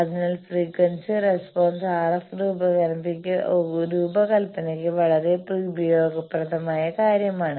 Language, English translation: Malayalam, So, that is why frequency response is a very useful thing for RF design